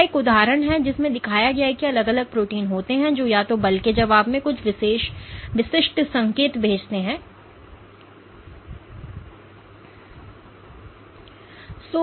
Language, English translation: Hindi, So, this is an example showing that there are different proteins which either sends certain specific cues in response to the force that you exert